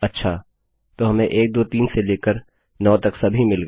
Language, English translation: Hindi, OK, weve got 1 2 3 all the way up to 9